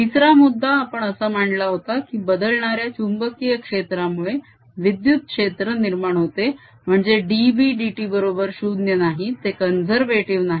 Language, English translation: Marathi, third point we made was that the electric field produced by changing magnetic field that means d b, d t, not equal to zero is not conservative